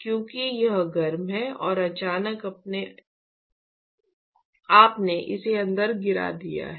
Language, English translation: Hindi, Because you said that it is its heated and suddenly you have dropped it inside